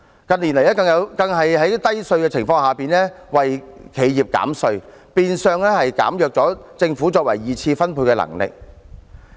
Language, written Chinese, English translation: Cantonese, 近年來更在稅率偏低的情況下為企業減稅，變相削弱政府作二次分配的能力。, In recent years despite the already low tax rates the Government continues to introduce tax cuts for enterprises which in a way weakens its capability of making a secondary distribution